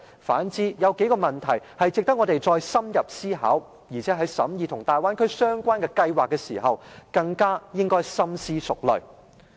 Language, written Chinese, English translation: Cantonese, 反之，有數個問題值得我們再深入思考，而且在審議與大灣區相關計劃的時候，更應該深思熟慮。, On the contrary there are a few issues that merit more thorough consideration and also we should be thoughtful as we scrutinize projects relating to the Bay Area